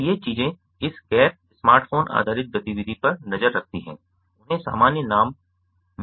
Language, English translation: Hindi, so these things, these non smartphone based activity monitors, they have been given the common name wearables